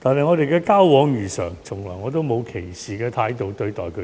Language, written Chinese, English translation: Cantonese, 我們的交往如常，我從來沒有以歧視的態度對待他們。, We maintain a normal relationship with them and I have never harboured any discriminative attitude towards them